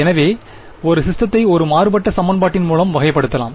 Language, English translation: Tamil, So, a system can also be characterized by means of a differential equation right